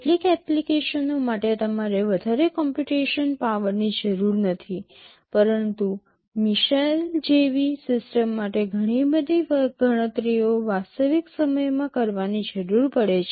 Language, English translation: Gujarati, For some applications you do not need too much computation power, but for a system like missile lot of computations need to take place in real time